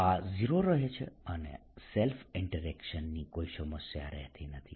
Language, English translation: Gujarati, this remain zero, there is no problem of self interaction